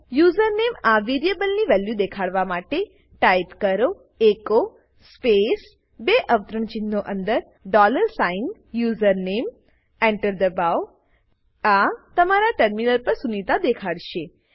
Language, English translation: Gujarati, To display the value of variable username Type echo space within double quotes dollar sign username press Enter This will display sunita on your terminal